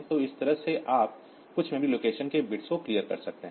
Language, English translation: Hindi, So, this way you can clear the bits of some memory locations